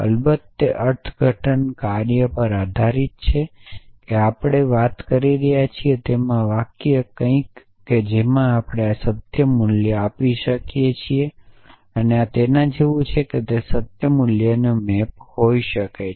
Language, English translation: Gujarati, Of course depends on the domine and the interpretation function that we are talking about so a sentence something to which we can assign a truth value sentences are like this which can be map to truth values